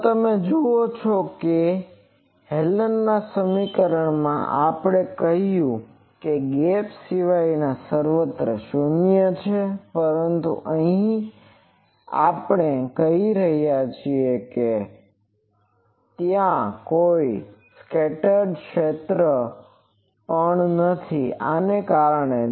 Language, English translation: Gujarati, So, you see Hallen’s equation we said this is 0 everywhere except the gap, but here we are saying no there is also a scattered field, because of these